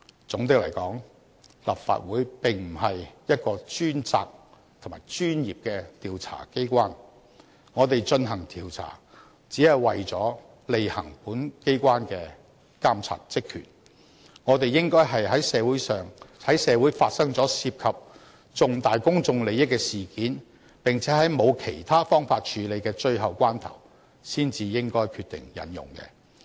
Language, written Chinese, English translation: Cantonese, 總的來說，立法會並不是一個專責及專業的調查機構，我們進行調查，只是為了履行本機關的監察職權，我們應該在社會發生了涉及重大公眾利益的事件，並且在沒有其他方法處理的最後關頭才決定引用。, All in all the Legislative Council is not a specific and professional investigatory body . The purpose of our launching any investigation is only for exercising our monitoring function . It is only when there is a major incident involving public interests happened in society and at the critical moment when there are no other alternatives that we should decide to invoke the Ordinance